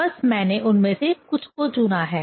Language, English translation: Hindi, Just I have chosen few of them